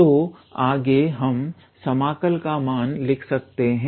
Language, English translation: Hindi, So, next we can write it as the value of the integral